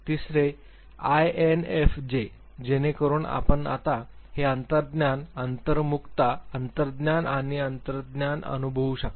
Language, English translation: Marathi, The third INFJ, so you can make out now it is intuiting, introversion, intuiting feeling and judging